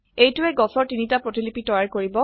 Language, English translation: Assamese, This will create three copies of the trees